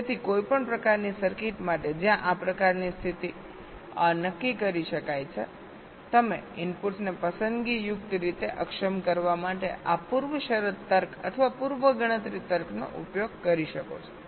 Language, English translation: Gujarati, so for any kind of circuit where this kind of condition can be determined, you can use this pre condition logic or pre computation logic to selectively disable the inputs